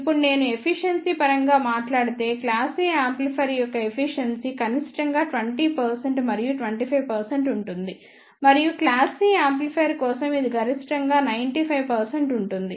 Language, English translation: Telugu, Now, if I talk about in terms of efficiency then the efficiency of class A amplifier is minimum that is about 20 percent and 25 percent, and it is maximum for class C amplifier it is around 95 percent